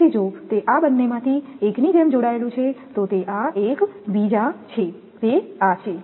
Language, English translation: Gujarati, So, if it is connected like this either one it is this one another is this one